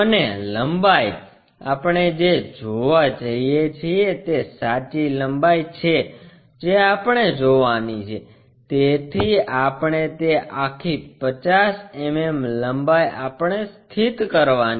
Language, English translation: Gujarati, And the length, what we are going to see is the true length we are going to see, so that entire longer one 50 mm we have to locate it